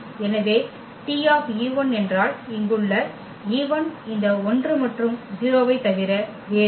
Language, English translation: Tamil, So, T e 1 means the e 1 here is nothing but this 1 and 0